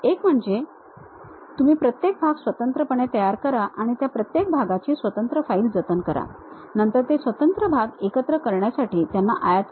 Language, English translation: Marathi, One you prepare individual parts, save them individual files, then import those individual parts make assemble